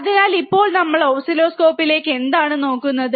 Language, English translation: Malayalam, So, now what we are looking at oscilloscope